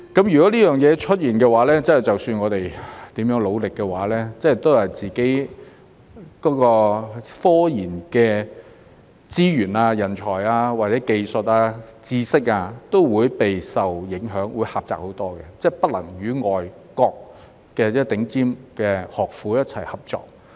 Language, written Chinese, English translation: Cantonese, 如果這件事出現，無論我們如何努力，自己的科研資源、人才、技術或知識都會備受影響，會狹窄很多，不能與外國的頂尖學府一起合作。, If this happens no matter how hard we try our own research resources talents technology or expertise will be affected . Our room for development will be much narrower as we will not be able to collaborate with top foreign universities